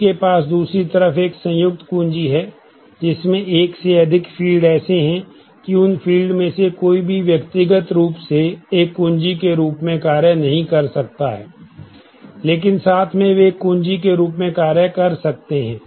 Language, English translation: Hindi, They have other side is a composite key is one, which has more than one field such that none of those fields individually can act as a key, but together they can act as a key